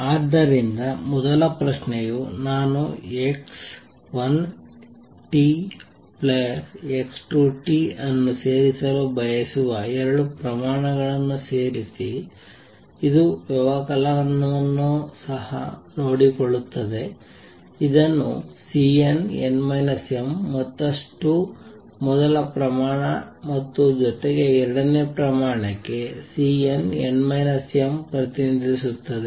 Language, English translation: Kannada, So, first question add the two quantities supposed I want to add x 1 t, plus x 2 t which also takes care of the subtraction this will be represented by C n, n minus m further first quantity plus C n, n minus m for the second quantity, and the corresponding frequency omega n, n minus m